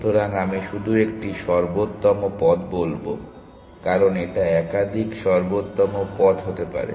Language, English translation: Bengali, So, I will just say an optimal path, because a could be more than one optimal paths